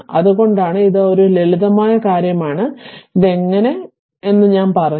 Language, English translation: Malayalam, So, that is why; so this is a simple thing and I told you how to break it